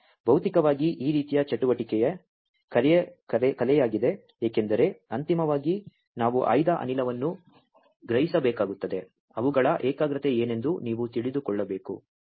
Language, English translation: Kannada, So, materially is the art of this kind of activity because finally, we will have to sense selectively a gas you should know what is their concentration